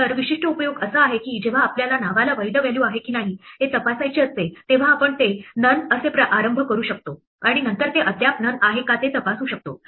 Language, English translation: Marathi, So, the typical use is that when we want to check whether name has a valid value we can initialize it to none and later on we can check if it is still none